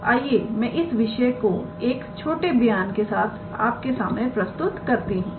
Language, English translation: Hindi, So, let me introduce that via a small statement